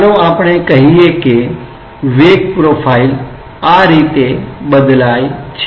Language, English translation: Gujarati, Let us say that the velocity profile varies in this way